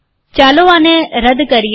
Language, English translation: Gujarati, Lets delete this